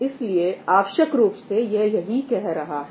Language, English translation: Hindi, So, essentially what it is saying is that